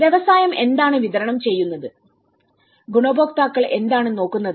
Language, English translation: Malayalam, What the industry is supplying and what the beneficiaries are looking about